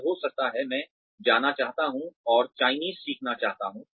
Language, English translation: Hindi, May be tomorrow, I want to go and learn Chinese